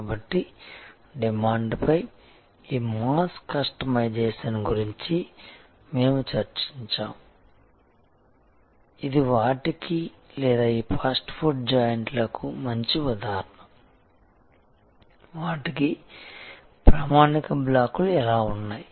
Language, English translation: Telugu, So, we had discussed about this mass customization on demand, which is a good example of that or all these fast food joints, how they have standard blocks